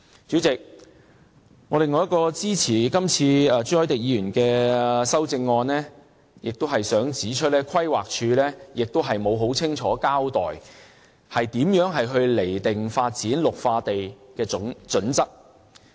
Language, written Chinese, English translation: Cantonese, 主席，我另一個支持朱凱廸議員修正案的原因是，規劃署沒有很清楚地交代如何釐定發展綠化地的準則。, Chairman my other reason for supporting Mr CHU Hoi - dicks amendment is the lack of clear explanation from PlanD on how to set the criteria for green belt development